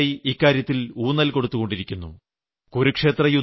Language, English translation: Malayalam, In India, this has been accorded great importance for centuries